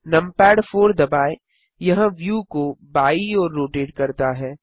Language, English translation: Hindi, Press numpad 4 the view rotates to the left